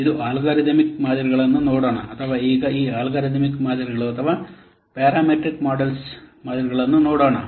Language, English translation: Kannada, Now this let's see the algorithm models or now let us see this this algorithm models or parameter models